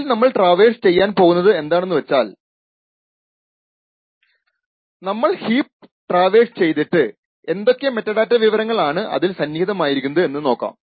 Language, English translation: Malayalam, So, what we are going to do is that we are going to traverse the heap and look at the various metadata contents present in the heap